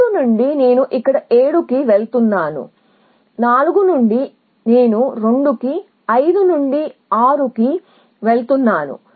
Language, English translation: Telugu, From 3 I am going to 7 here, from 4 I am going to 2, from 5 I am going to 6